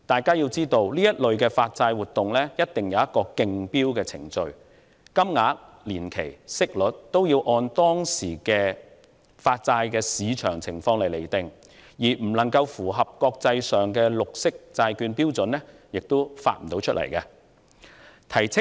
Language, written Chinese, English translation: Cantonese, 然而，這類發債活動須依循競標程序進行，債券面額、年期和息率均須按當時債券市場的情況釐定，如未能符合國際綠色債券標準，便不可以發行。, The truth is however such bond issuance must proceed according to the tendering procedure while the denomination tenor and interest rate are set with reference to the prevailing condition of the bond market . The issuance just cannot proceed should any of these fail to meet the international standards of green bonds